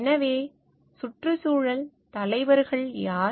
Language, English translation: Tamil, So, who are environmental leaders